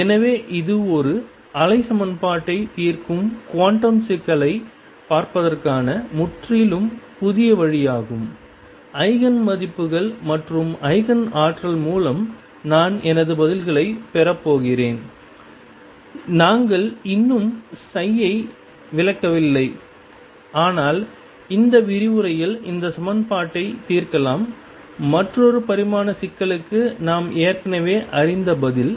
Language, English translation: Tamil, So, this is a completely new way of looking at the quantum problem I am solving a wave equation and through the Eigen values and Eigen energy is I am getting my answers and we yet to interpret psi, but let us solve in this lecture this equation for another one dimensional problem that we already know the answer of